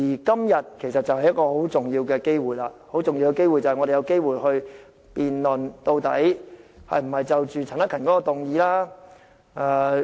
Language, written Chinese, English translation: Cantonese, 今天就是一個很重要的機會，讓我們有機會辯論究竟是否通過陳克勤議員的議案。, Todays debate gives us an important opportunity to discuss Mr CHAN Hak - kans motion which calls for inattention heedlessness and non - action